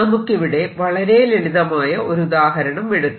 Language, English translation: Malayalam, it's a very simple example